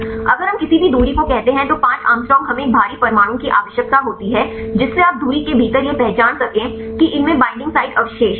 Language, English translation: Hindi, If we set up any distance say 5 angstrom we need a heavy atoms with there within the distance you can identify these has binding site residues right